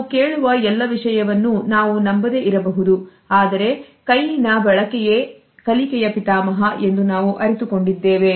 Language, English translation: Kannada, We may not believe everything we may hear but we realize that hand and use is father of learning